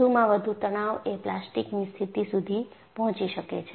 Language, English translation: Gujarati, At the most, the stresses can reach the plastic condition